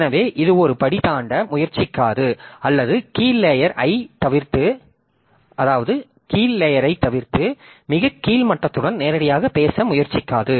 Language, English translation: Tamil, So, it will not try to do a step jumping or it will not try to bypass a lower layer and directly talk to the lowest level